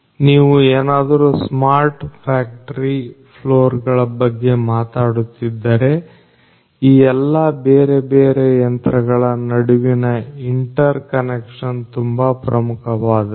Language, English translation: Kannada, So, if you are talking about a smart factory floor the interconnection between all these different machines is very important